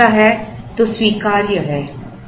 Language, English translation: Hindi, If so it is acceptable